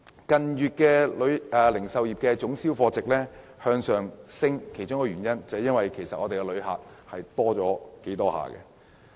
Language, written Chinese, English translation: Cantonese, 近月零售業總銷貨值持續上升的原因，跟來港旅客數目增長有關。, The pick - up in the value of total retail sales in recent months was linked to the growth of visitor numbers to Hong Kong